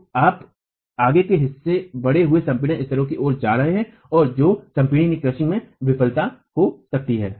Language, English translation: Hindi, So, you have toe going towards increased compression levels and can fail in crushing